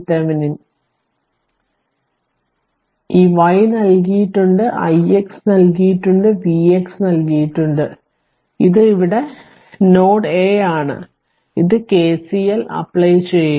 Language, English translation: Malayalam, So, all all this i y direction is given i x is given V x is given and this is node a here we will apply KCL also right